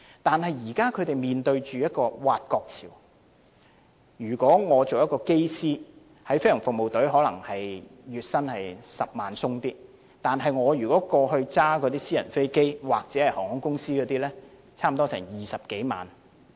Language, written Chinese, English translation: Cantonese, 但是，飛行務服隊現正面對挖角潮，如果我是一位機師，在飛行服務隊工作，月薪剛好超過10萬元；如駕駛私人飛機或在航空公司工作，月薪便有20多萬元。, However GFS is now facing the problem of headhunting by the private sector . If I were a Pilot of GFS my monthly salary would be just over 100,000 . But if I were a private pilot or worked for an airline company my monthly salary would be over 200,000 and I could go home or to the hotel to take a rest after driving the aircraft